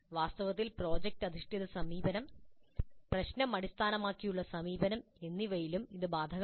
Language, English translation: Malayalam, In fact same is too even with product based approach problem based approach